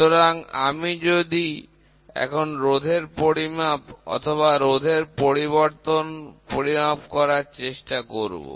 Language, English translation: Bengali, So, I now try to measure the resistance, which is which is getting generated or a change in resistance